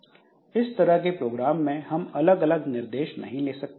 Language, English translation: Hindi, So, for this type of programs we cannot have different requests